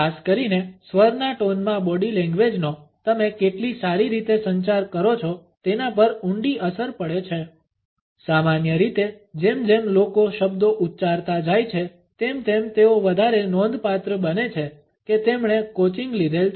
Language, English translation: Gujarati, Body language in particularly voice tone have a profound effects on how well you communicate, normally as people rise up the words the more noticeable they are the more or likely they have coaching